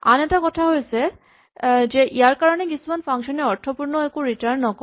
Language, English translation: Assamese, The other thing is that because of this there may be functions which do not return anything useful at all